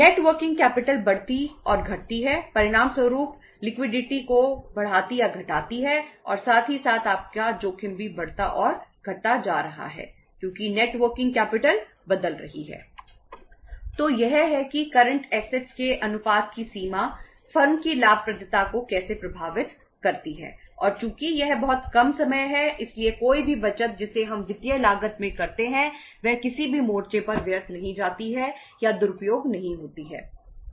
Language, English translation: Hindi, So this is how the the extent of the proportion of the current assets impact the profitability of the firm and since it is a very short period of time so any saving which we make on account of the financial cost does not going to drain or say say to be uh misused on any front